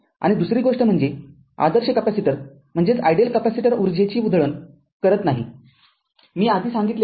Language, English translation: Marathi, And next one is an ideal capacitor cannot dissipate energy, I told you earlier right